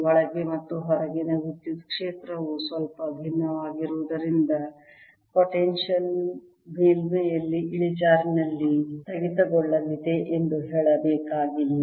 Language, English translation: Kannada, needless to say, since the electric field inside and outside is slightly different, the potential is going to have a discontinuity in the slope at the surface